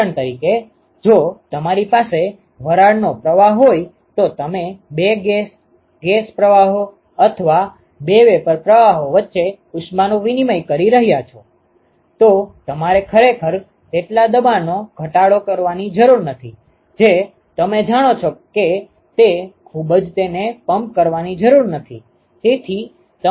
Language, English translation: Gujarati, For example, if you have a vapor stream you are exchanging heat between two gas gas streams or two vapor streams, then you really do not need that much pressure drop you know really do not need to pump it that much